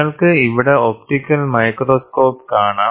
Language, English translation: Malayalam, You can see here an optical microscope